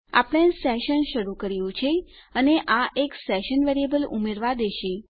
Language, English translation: Gujarati, Weve started the session and this lets us add a session variable